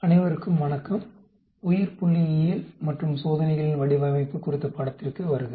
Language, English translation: Tamil, Hello everyone, welcome to the course on Biostatistics and Design of Experiments